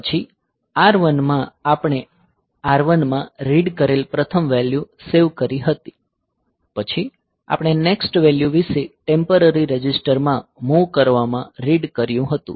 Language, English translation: Gujarati, And then in R1 we had saved that the first value that we had read in R1, then we have read about the next value into the moved down to the temporary register